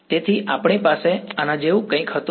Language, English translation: Gujarati, So, we had something like this right